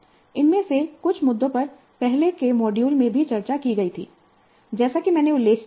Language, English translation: Hindi, Some of these issues were discussed in earlier modules also, as I mentioned